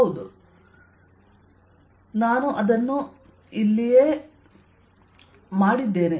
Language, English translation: Kannada, yes, i did that indeed here